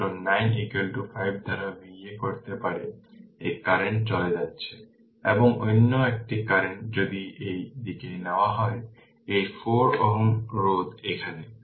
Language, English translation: Bengali, So, 9 is equal to you can make V a by 5 this current is leaving, and another current if you take in this direction, this 4 ohm resistance is here